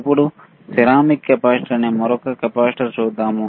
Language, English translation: Telugu, Now, let us see another capacitor, ceramic capacitor